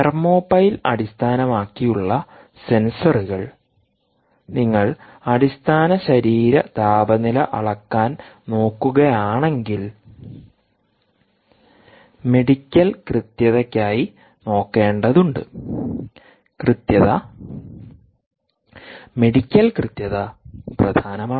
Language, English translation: Malayalam, ah, if you are looking at for the measurement, for the measurement of core body temperature, you will have to look for medical accuracy, accuracy, medical accuracy is important in general